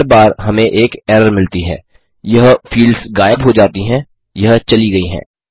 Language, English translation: Hindi, Every time we get an error, these fields disappear they are gone